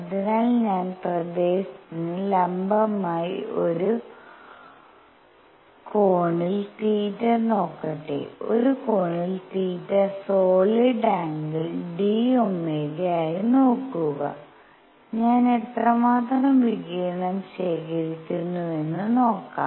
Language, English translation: Malayalam, So, let me look at an angle theta for perpendicular to the area, look at an angle theta into solid angle d omega and see how much radiation do I collect